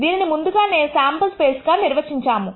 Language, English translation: Telugu, We have already defined this as the sample space